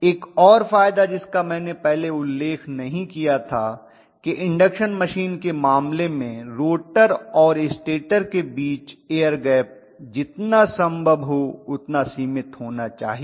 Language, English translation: Hindi, One more advantage which I had not mentioned earlier is if I am having the rotor and stator, the rotor is sitting inside the stator, the air gap has to be as limited as possible in the case of an induction machine